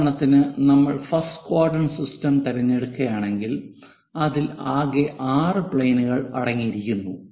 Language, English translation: Malayalam, For example, if we are picking first quadrant system, it consists of in total 6 planes; 4 on the sides top and bottom thing